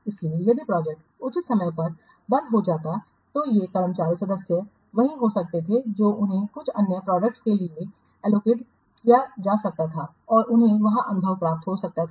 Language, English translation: Hindi, So if the project could have been, the project could have closed at appropriate time, the staff members could have been what allocated, they could have assigned to some other projects and they could have what gain experience there